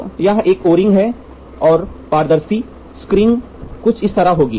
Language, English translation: Hindi, So, what we say, this is an O ring and the transparent screen will be something like this